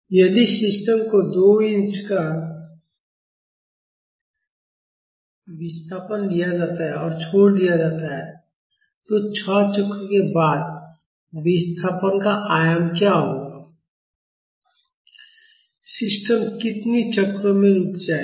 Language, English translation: Hindi, If the system is given an initial displacement of 2 inches and released, what will be the displacement amplitude after six cycles and in how many cycles will the system come to rest